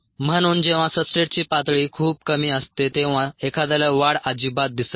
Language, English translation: Marathi, therefore, when ah, the substrate level is very low, one may not see growth at all